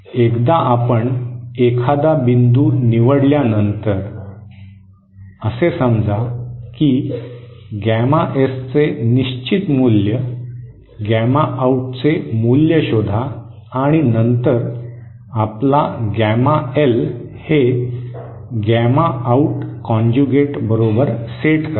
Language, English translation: Marathi, Once you select a point, say that a certain value of gamma S, find out the value of gamma out and then set your gamma L is equal to gamma out conjugate